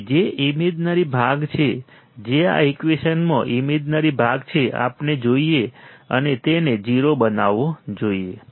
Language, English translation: Gujarati, So, which is the imaginary part, which is the imaginary part in this equation, we must see and make it 0